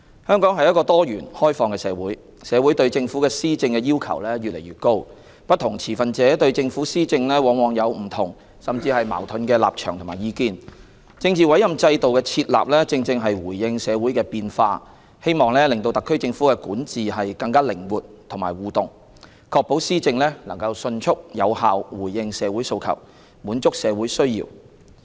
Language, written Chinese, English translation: Cantonese, 香港是一個多元、開放的社會，社會對政府施政的要求越來越高，不同持份者對政府施政往往有不同甚至矛盾的立場和意見，政治委任制度的設立，正正是回應社會的變化，希望令特區政府的管治更靈活和互動，確保施政能迅速有效回應社會訴求、滿足社會需要。, Hong Kong is a diversified and liberal society . Given the heightening aspirations from the public on the Government it is not uncommon that different stakeholders take different and even opposing stances and views towards government policies . The introduction of the Political Appointment System was to respond to social changes in the hope of allowing more flexibility and interaction in the governance of the HKSAR Government and ensuring the timely and effective implementation of policies in response to public aspirations and social needs